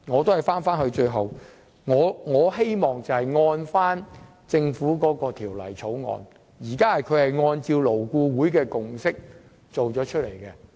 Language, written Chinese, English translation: Cantonese, 最後，我支持政府提出的《條例草案》，按照勞顧會的共識，集中做好這項建議。, Finally I support the Bill submitted by the Government and we should concentrate on implementing the proposals on which consensus has been reached by LAB